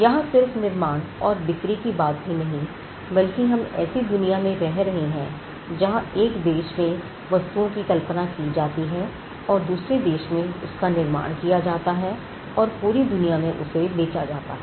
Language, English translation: Hindi, Not just manufactured and sold the fact that we live in a world where things that are created or conceived in a country as now manufactured in another country and sold across the globe